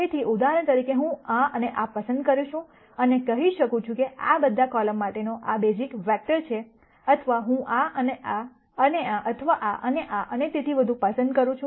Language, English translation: Gujarati, So, for example, I could choose this and this and say, this is the basis vector for all of these columns or I could choose this and this and this or this and this and so on